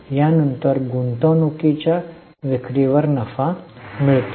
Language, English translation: Marathi, Next is profit on sale of investment